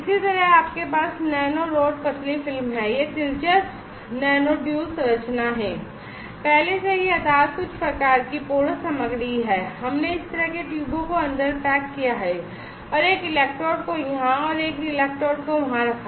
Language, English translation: Hindi, Similarly, you have nano rod thin film this is interesting embedded nano duo structure already the base is some kind of porous material and we packed this kind of tubes inside and put one electrode here and one electrode there